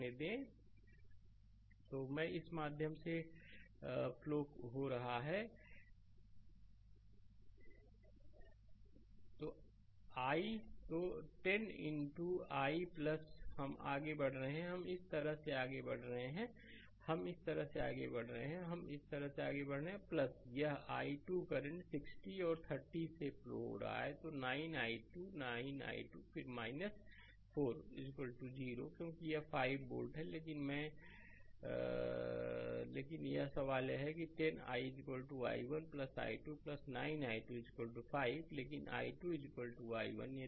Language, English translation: Hindi, So, i is flowing through this is i so, 10 into i right plus we are move we are moving like this; we are moving like this we are moving like this plus your this i 2 current is flowing through 60 and 30; So, 90 i2 90 i2 right, then minus 4 is equal to 0 because this 5 volt so, right but i were, but question is that 10 i is equal to i 1 plus i 2 plus 90 i 2 is equal to 5 right, but i 2 is equal to i 1